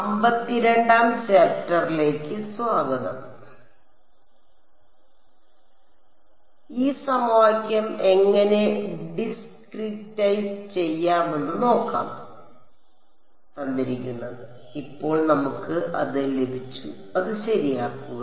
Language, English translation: Malayalam, So, now we will look at how to discretize this equation, now that we have got it and solve it ok